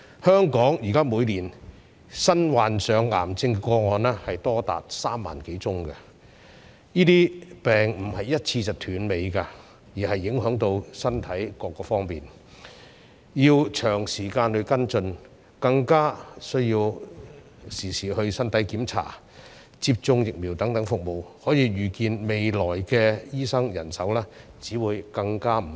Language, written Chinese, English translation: Cantonese, 香港現在每年新患上癌症的個案多達3萬多宗，這些病不能一次斷尾，亦會影響身體各方面，需要長時間跟進，市民亦需要身體檢查、接種疫苗等服務，可以預見未來的醫生人手只會更加不足。, At present there are over 30 000 new cancer cases in Hong Kong each year . Cancer cannot be cured in one go and affects all aspects of health requiring long - term follow - up . Moreover the public also need services such as medical check - ups and vaccinations